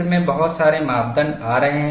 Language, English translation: Hindi, That too many parameters come into the picture